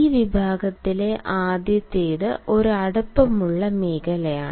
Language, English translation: Malayalam, the first in this category is an intimate zone